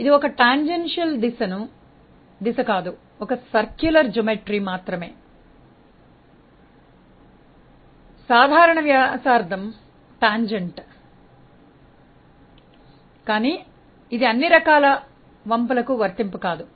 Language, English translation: Telugu, No, you can clearly see that this is not a tangential direction; only for a circular geometry normal to the radius is the tangent, but not for all types of curves